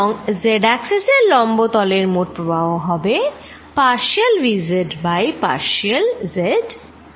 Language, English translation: Bengali, And net flow through surfaces perpendicular to the z axis is going to be partial v z over partially z a b c